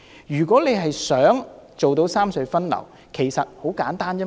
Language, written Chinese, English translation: Cantonese, 如果想做到三隧分流，其實方法很簡單。, To rationalize traffic among the three tunnels there is actually a very simple way